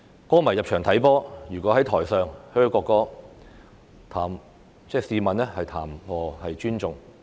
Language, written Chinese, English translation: Cantonese, 球迷入場參觀足球賽事，如果在席上"噓"國歌，試問談何尊重？, How can booing the national anthem by football fans during a football match in a stadium be considered respectful?